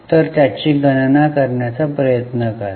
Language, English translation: Marathi, So, try to calculate it